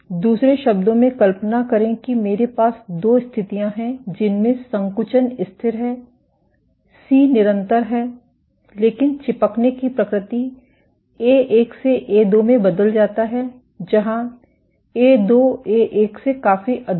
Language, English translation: Hindi, In other words, imagine I have two conditions in which contractility is constant; C is constant, but adhesivity changes from A1 to A2 where, A2 is significantly greater than A1